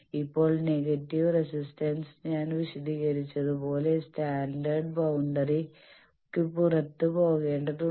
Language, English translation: Malayalam, Now for negative resistance one needs to go outside of the standard boundary as I explained